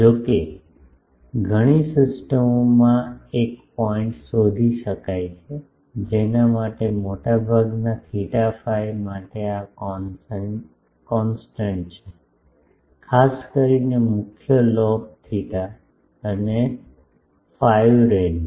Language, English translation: Gujarati, However, in many systems a point can be found for which this constant for most of theta and phi, especially the main lobe theta and phi range